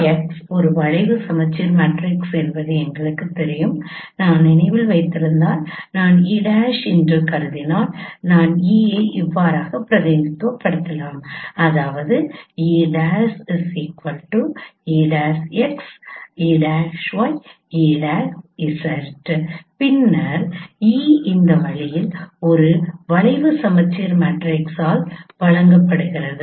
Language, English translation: Tamil, We know E prime cross is a skew symmetric matrix and if you remember that if I consider E prime if I represent E prime as say E X prime E, y prime E Z prime then E prime cross is given by a skew symmetric matrix in this way